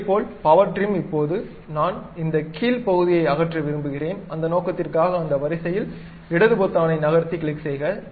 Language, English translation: Tamil, Similarly, power trim, now I would like to remove this bottom portion, for that purpose, click left button move along that line